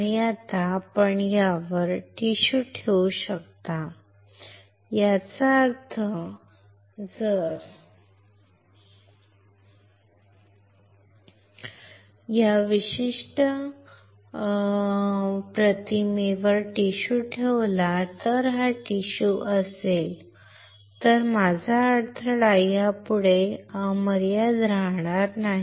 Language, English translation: Marathi, And now, you can place a tissue on this; that means, if I place a tissue on this particular image, this is a tissue then my impedance would not be infinite anymore